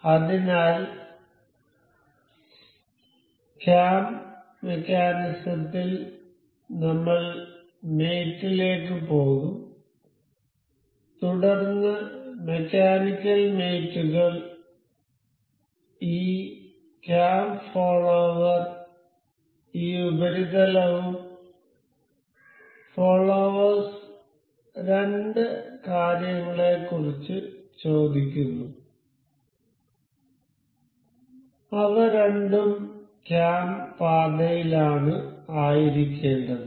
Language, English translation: Malayalam, So, in the cam mechanism we will go to mate, then mechanical mates this cam this cam follower asks of the two things that is cam path that is supposed to be this surface and the follower